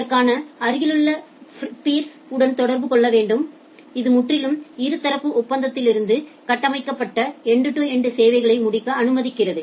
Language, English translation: Tamil, Have to communicate with this the adjacent peers, which allows end to end services to be constructed out of purely bilateral agreement